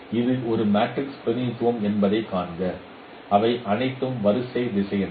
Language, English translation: Tamil, So this is a matrix representation and all these are row vectors